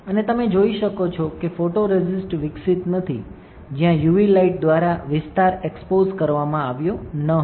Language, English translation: Gujarati, And you can see that the photoresist is not developed where the area was not exposed by UV light